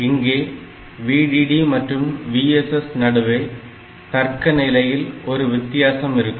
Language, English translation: Tamil, So, this VDD and VSS, difference between these two